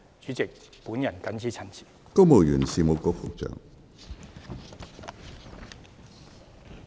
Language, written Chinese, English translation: Cantonese, 主席，本人謹此陳辭，多謝主席。, President I so submit . Thank you President